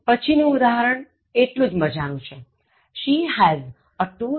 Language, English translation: Gujarati, Next example is equally interesting: She has a two thousand rupees note